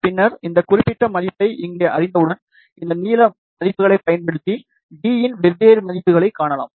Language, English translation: Tamil, And then, once we know this particular value here, you can find the different values of the using these values of length